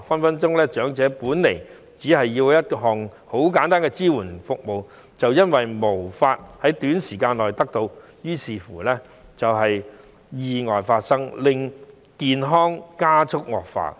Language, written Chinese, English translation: Cantonese, 長者可能本身只需要一項簡單的支援服務，但由於無法在短時間內得到，於是便發生了意外，令到他的健康加速惡化。, In some cases an elderly person might only need a simple item of supporting service but he could not receive the service within a short period of time during which an accident happened and his health condition thus deteriorated more rapidly